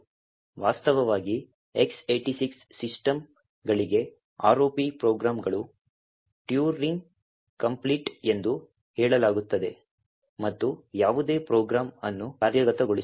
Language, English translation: Kannada, In fact, for X86 systems the ROP programs are said to be Turing complete and can implement just about any program